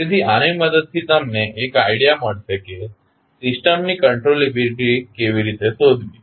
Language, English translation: Gujarati, So, with this you can get an idea that how to find the controllability of the system